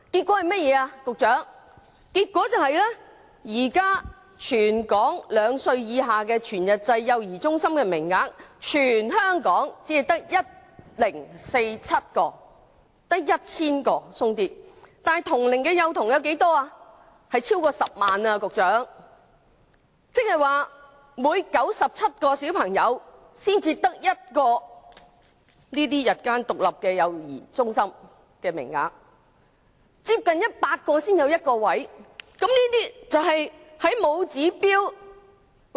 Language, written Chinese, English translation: Cantonese, 結果現時兩歲以下全日制幼兒中心的名額，全港只有 1,047 個，即只有 1,000 多個，但同齡幼童卻有超過10萬人，即每97個幼童才有1個全日制幼兒中心名額，要接近100個人才有1個名額。, As a result at present there are only 1 047 full - time child care places for children aged under two in Hong Kong which means that there are only some 1 000 places for more than 100 000 children of that age . In other words there is only one full - time child care place for every 97 young children and that is one for approximately 100 children